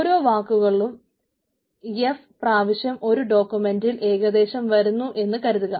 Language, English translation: Malayalam, each what word occurs f times on the document on an average